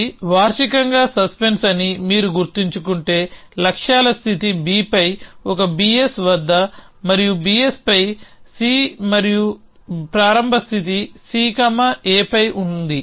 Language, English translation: Telugu, So if you remember this was the suspense annually the start the goals state was at a s on B and B s on C and the starting state was that C is on A